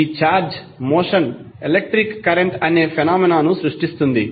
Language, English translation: Telugu, This motion of charge creates the phenomena called electric current